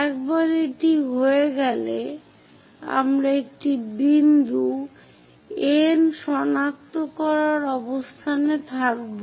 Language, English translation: Bengali, Once it is done, we will be in a position to locate a point N